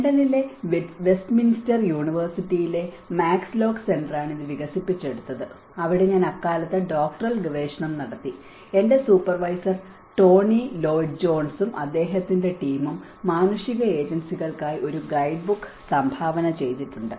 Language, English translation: Malayalam, It was developed by the Max Lock Center in University of Westminster, London where I was doing my doctoral research at that time and my supervisor Tony Lloyd Jones and his team they have contributed a guidebook for the humanitarian agencies